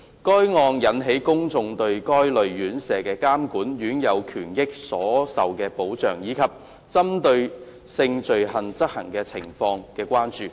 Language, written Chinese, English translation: Cantonese, 該案件引起公眾對該類院舍的監管、院友權益所受保障，以及針對性罪行的執法情況的關注。, The case has aroused public concerns about the monitoring of this type of residential care homes protection for the rights and interests of the residents and law enforcement against sex crimes